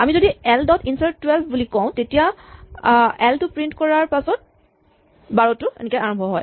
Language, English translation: Assamese, If we say l dot insert 12 and print l, then 12 will begin